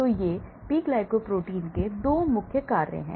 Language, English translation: Hindi, So, these are the 2 main jobs of P glycoproteins